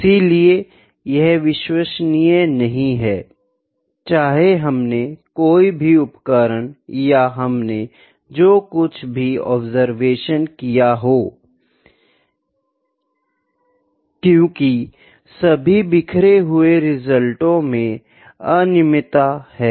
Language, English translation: Hindi, So, it is not reliable; whatever the instrument we are using or whatever the observations we have taken those are not reliable, because those are very randomly scattered